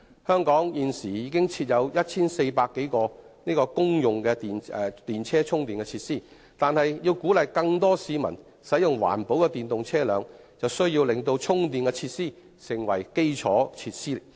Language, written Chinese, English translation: Cantonese, 香港現時已經設有 1,400 多個公用電動車充電設施，但要鼓勵更多市民使用環保的電動車輛，必須令到充電設施成為基礎設施。, There are 1 400 - plus public charging facilities for electric vehicles in Hong Kong but to promote the use of these environmentally friendly vehicles charging facilities must become a part of the infrastructure